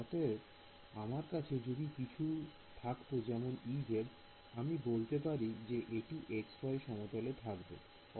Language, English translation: Bengali, So, if I had something like you know E z, I can say this is in the x y plane